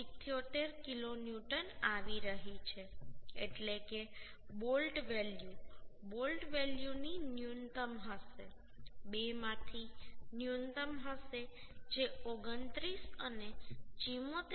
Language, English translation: Gujarati, 78 kilonewton that means the bolt value will be minimum of bolt value will be minimum of two that is 29 and 74